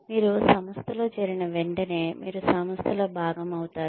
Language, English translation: Telugu, You become part of the organization, as soon as you join the organization